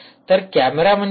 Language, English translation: Marathi, so what is the camera